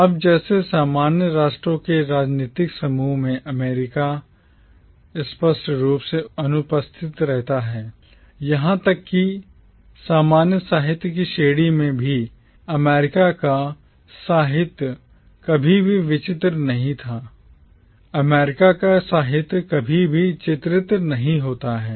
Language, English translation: Hindi, Now, just like in the political group of commonwealth nations America remains conspicuously absent, even in the category of commonwealth literature, the literature of America never featured